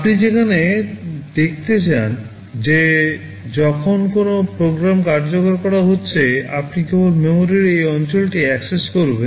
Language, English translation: Bengali, You want to see that when a program is executing, you are supposed to access only this region of memory